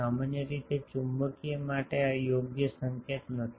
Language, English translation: Gujarati, Generally, for magnetic this is not a correct notation